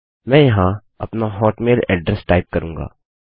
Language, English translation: Hindi, I will type my hotmail address here